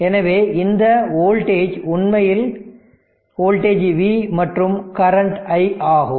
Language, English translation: Tamil, So, this voltage is V a